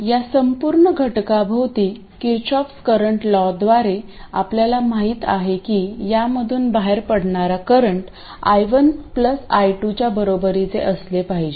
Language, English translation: Marathi, And by Kirchkhov's current law around this entire element we know that the current coming out of this has to be equal to I1 plus I2